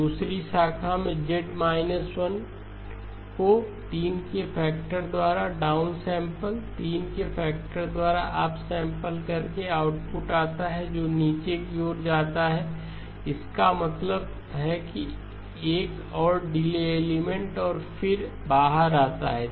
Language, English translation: Hindi, Now the second branch turns out to be Z inverse down sample by a factor of 3, up sample by a factor of 3 comes to the output, goes downward, that means to another delay element and then comes out